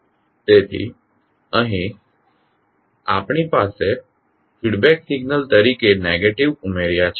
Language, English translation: Gujarati, So here we have added negative as a feedback signal